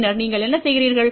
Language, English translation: Tamil, And then what you do